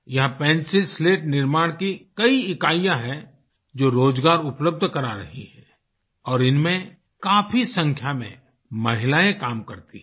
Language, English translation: Hindi, Here, several manufacturing units of Pencil Slats are located, which provide employment, and, in these units, a large number of women are employed